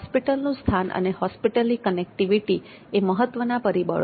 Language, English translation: Gujarati, The location of the hospital and connectivity of the hospital are important elements